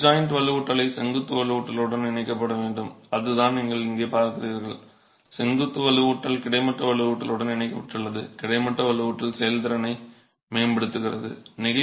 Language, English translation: Tamil, Of course the bed joint reinforcement has to be coupled with the vertical reinforcement and that's the kind of detailing that you're seeing here where vertical reinforcement is connected to the horizontal reinforcement